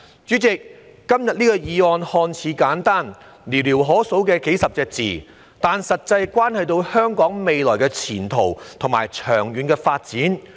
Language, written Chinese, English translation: Cantonese, 主席，今天的議案看似簡單，只有寥寥可數的數十個字，但實際上關乎香港的未來前途和長遠發展。, President todays motion looks simple containing as few as dozens of words only but in fact it concerns the future prospects and long - term development of Hong Kong